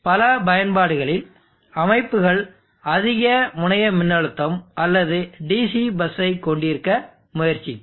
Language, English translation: Tamil, So in many applications the systems will try to have a higher terminal voltage or DC+